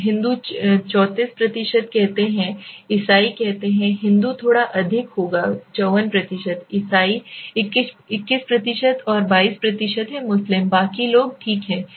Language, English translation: Hindi, Now Hindus say are 34%, let say Christian, Hindu will be little bit higher 54%, Christian 21% and 22% is Muslim, others being rest okay